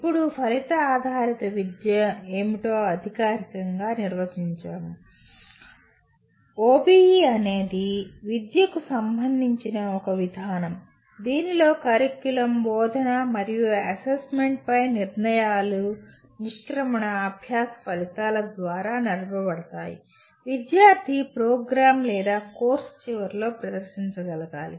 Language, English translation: Telugu, Now, formally defining what an Outcome Based Education, OBE is an approach to education in which decisions about curriculum, instruction and assessment are driven by the exit learning outcomes that the student should display at the end of a program or a course